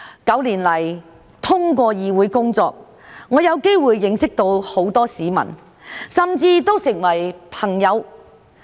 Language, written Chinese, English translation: Cantonese, 九年來，通過議會工作，我有機會認識到很多市民，甚至成為朋友。, Through my work in this Council over these past nine years I have the opportunity to know many members of the public and become friends with them